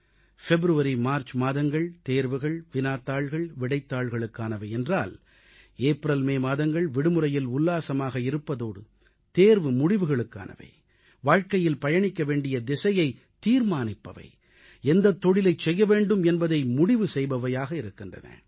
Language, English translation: Tamil, Whereas February and March get consumed in exams, papers and answers, April & May are meant for enjoying vacations, followed by results and thereafter, shaping a course for one's life through career choices